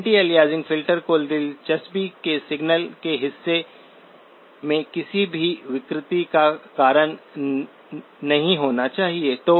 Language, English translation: Hindi, Anti aliasing filter should not cause any distortion in the portion of the signal of interest